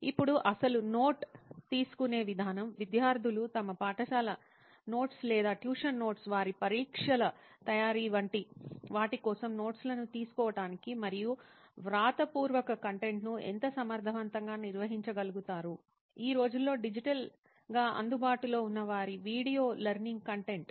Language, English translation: Telugu, Then is the actual note taking process, how efficiently students are able to take notes and organize their written content for say it like their school notes or tuition notes preparation for their examinations, then their video learning content which is digitally available nowadays